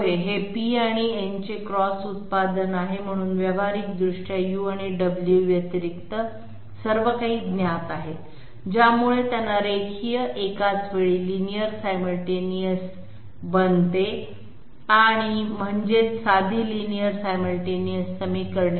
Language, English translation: Marathi, Yes, it is the cross product of p and n, so practically everything is known except Delta u and Delta w, which makes them linear simultaneous that means simple simultaneous equations